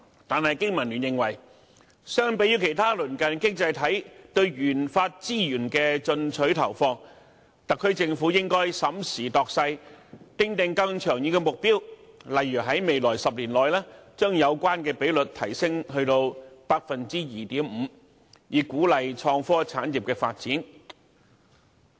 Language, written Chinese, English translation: Cantonese, 但是，經民聯認為，相比於其他鄰近經濟體對研發資源的進取投放，特區政府應該審時度勢，訂定更長遠的目標，例如在未來10年內把有關比率提升至 2.5%， 以鼓勵創科產業發展。, However given the aggressive RD investment by other neighbouring economies BPA is of the view that the SAR Government should having regard to the prevailing circumstances set longer - term targets such as raising the relevant ratio to 2.5 % in the next 10 years so as to encourage the development of the innovation and technology industry